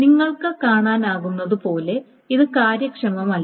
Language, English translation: Malayalam, Now as you can see, this is highly inefficient